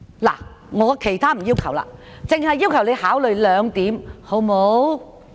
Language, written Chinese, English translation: Cantonese, 我沒有其他要求，只是要求你考慮這兩點，好嗎？, I do not have any other request to make other than asking you to consider these two points . Can you do so?